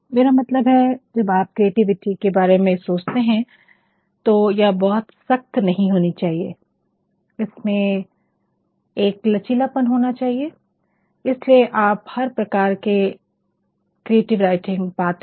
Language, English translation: Hindi, And, then flexibility I mean when you are thinking of creativity it actually should not conform to rigidity, it actually should have a sort of flexibility, that is why you will find all forms of creative writing